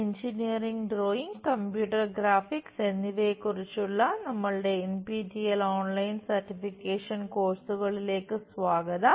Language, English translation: Malayalam, Welcome to our Engineering Drawing and Computer Graphics, NPTEL Online Certification Courses